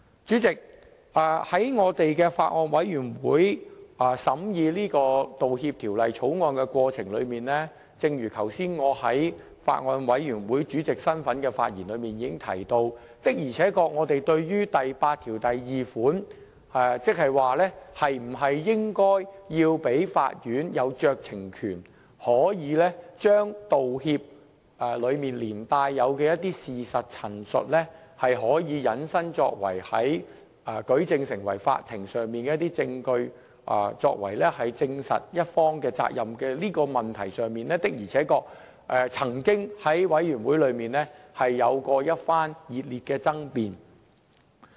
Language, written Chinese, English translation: Cantonese, 主席，在法案委員會審議《條例草案》的過程中，正如剛才我以法案委員會主席身份發言時已經提到，的而且確我們對於第82條，即是否應該給予法院酌情權，將道歉中連帶的一些事實陳述，引申成為法庭上的一些證據，作為證實某一方的法律責任問題上的舉證。的而且確，這點曾經在法案委員會中有過一番熱烈的爭辯。, President as I have mentioned in my capacity as Chairman of the Bills Committee in the scrutiny of the Bill the Bills Committee had indeed a heated debate on clause 82 in respect of whether a discretion should be conferred on courts to admit statements of fact contained in an apology as evidence in court proceedings to prove the legal liability of a certain party